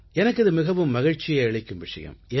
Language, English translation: Tamil, That gave me a lot of satisfaction